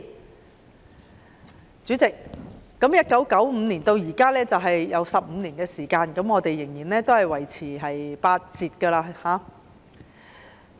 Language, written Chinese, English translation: Cantonese, 代理主席 ，1995 年至今已過了25年，放取產假的僱員仍然維持八折支薪。, Deputy President 25 years have passed since 1995 and employees taking ML are still paid at 80 % of their wages . I am a mother of two . I also took my ML in the pre - four and post - six weeks pattern